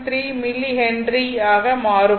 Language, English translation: Tamil, 073 Mille Henry right